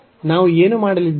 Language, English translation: Kannada, So, what we are going to have